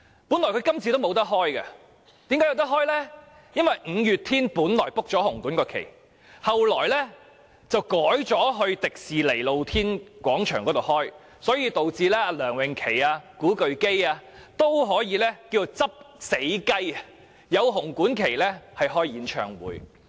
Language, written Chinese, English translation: Cantonese, 本來今次她也沒有機會，但後來因為五月天早已預訂紅館檔期，最後卻改在香港迪士尼樂園露天廣場舉行演唱會，以致梁詠琪、古巨基均可"執死雞"，在紅館舉行演唱會。, She originally did not have the chance to hold her concert this year but as the band MayDay which booked the slots in the Hong Kong Coliseum changed its mind and switched to hold its concert at the Outdoor Venue of the Hong Kong Disneyland both Gigi LEUNG and Leo KU were given the chance to take up the slots vacated by MayDay and hold their concert in the Hong Kong Coliseum